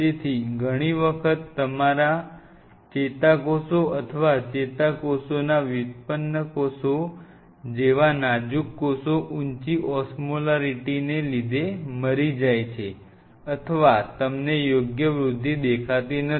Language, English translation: Gujarati, So, many a times your cells die especially fragile sense like neurons or neuron derivatize cells, because your cell has a very high osmolarity or you do not see the proper growth